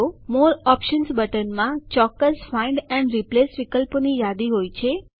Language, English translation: Gujarati, Click on it The More Options button contains a list of specific Find and Replace options